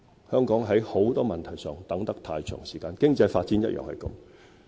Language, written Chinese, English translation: Cantonese, 香港在很多問題上，拖得太長時間，經濟發展也是這樣。, In Hong Kong many issues have been procrastinated far too long and the same applies to economic development